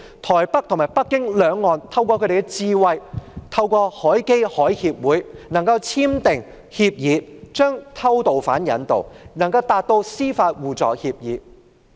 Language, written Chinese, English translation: Cantonese, 台北和北京兩岸透過智慧，透過海峽交流基金會和海峽兩岸關係協會簽訂協議，並就偷渡犯引渡達成司法互助協議。, At that time Taipei and Beijing had the wisdom to reach a judicial mutual assistance agreement on extradition of illegal immigrants through the Straits Exchange Foundation and the Association for Relations Across the Taiwan Straits